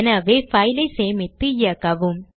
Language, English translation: Tamil, So save and run the file